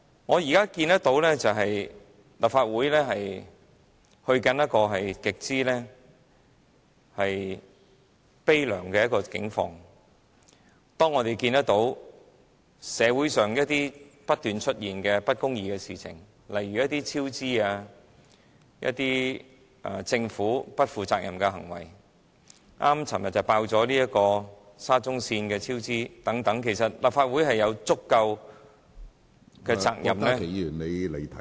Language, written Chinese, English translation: Cantonese, 我現在看到立法會正走向極悲涼的景況，社會上不斷出現不公義的事情，例如工程項目超支、政府不負責任的行為，剛剛昨天便揭露沙中線超支的情況，其實立法會有責任......, There is a rising tide of continuous injustice in the community such as cost overruns of public works projects and irresponsible government actions . The cost overrun of the Shatin to Central Link project was unveiled yesterday . Indeed the Legislative Council is responsible for